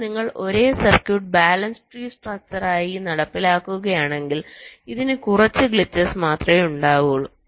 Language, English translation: Malayalam, but if you implement the same circuit as a balanced tree structure, this will be having fewer glitches